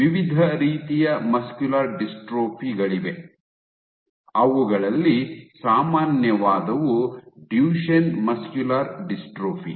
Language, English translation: Kannada, So, there are various types of muscular dystrophy, among them the most common being Duchenne muscular dystrophy